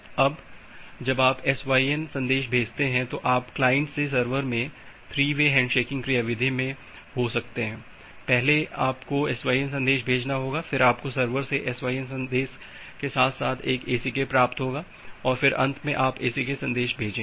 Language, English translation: Hindi, Now, after you have send a SYN then you can in that 3 way handshaking mechanism from the client to server first you have to send the SYN message, then you will receive an ACK from the server along with the SYN from the server as well and finally you will send the ACK message